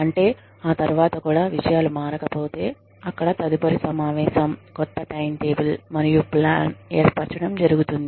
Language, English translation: Telugu, That is, you know, after that, if things do not change, then there is the follow up meeting, and a formation of new time table and plan